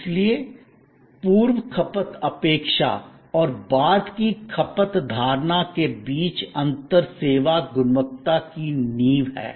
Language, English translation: Hindi, So, this difference between the or the gap between the pre consumption expectation and post consumption perception is the foundation of service quality